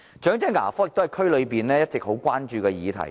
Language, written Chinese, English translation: Cantonese, 長者牙科也是區內一直備受關注的議題。, Elderly dental care has also been an issue of concern in the districts